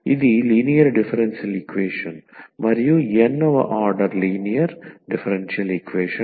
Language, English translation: Telugu, So, it is a linear differential equation and nth order linear differential equation